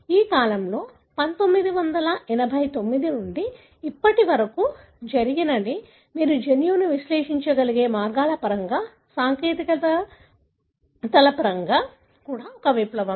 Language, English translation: Telugu, What had happened during this period, since 1989 to now is, is also a revolution in terms of the technologies, in terms of the ways by which you are able to analyse the genome